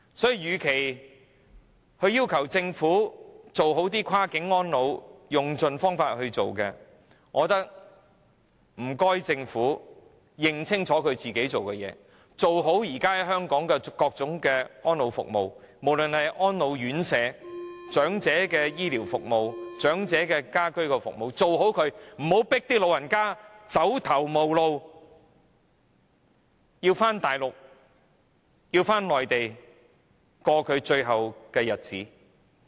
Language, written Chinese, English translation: Cantonese, 所以，與其要求政府用盡方法做好跨境安老，我覺得反而應請政府認清楚自己做的事情，做好現時香港的各種安老服務，無論是長者的安老院舍、醫療服務、家居服務等，不要迫長者走頭無路，要返回內地度過最後的日子。, Hence instead of asking the Government to try all means to provide better cross - boundary elderly care I think we should ask the Government to focus on its own duties and do better in the various elderly care services in Hong Kong no matter in residential care homes for the elderly or ageing in place services and not to drive the elderly into a corner and force them to spend their twilight years on the Mainland